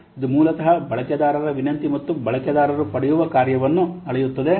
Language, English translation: Kannada, So it will basically measure the functionality that the user request and the user receives